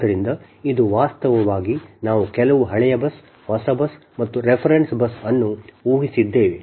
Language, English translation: Kannada, so this is actually, we have assume, some old bus, new bus and reference bus bus